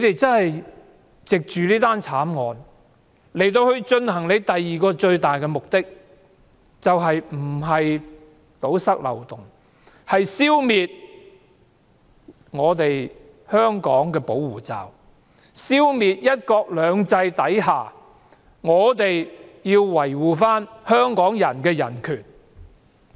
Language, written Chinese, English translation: Cantonese, 政府藉着這宗慘案以進行的最大目的，不是要堵塞漏洞，而是消滅香港的保護罩，消滅"一國兩制"下香港人所享有的人權。, Plugging loopholes is never the main purpose of the Government . Rather it has exploited the murder case to remove the shield which protects Hong Kong and our human rights under one country two systems